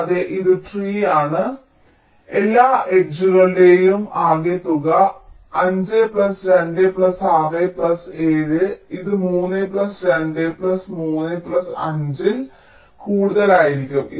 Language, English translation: Malayalam, as you can see, if you compute the sum of all the edges, five plus two plus six plus seven, this will be more than three plus two plus three plus five